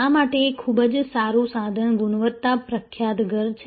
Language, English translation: Gujarati, A very good tool for this is the famous house of quality